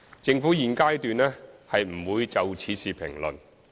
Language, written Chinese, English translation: Cantonese, 政府現階段不會就此事評論。, The Government has no comment on this matter at this stage